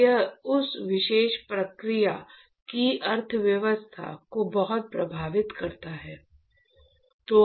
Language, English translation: Hindi, So, it hits the economy a lot economy of that particular process